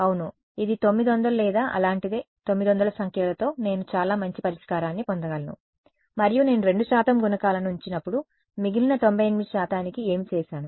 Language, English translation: Telugu, Yeah, it 900 or something like that with 900 numbers I can get a solution that is so good right, and what when I keep 2 percent coefficients what I have done to the remaining 98 percent